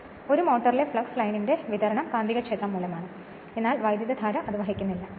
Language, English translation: Malayalam, So, distribution of line of flux in a motor due to magnetic field only right, but conductors carrying no current